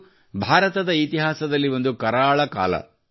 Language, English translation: Kannada, It was a dark period in the history of India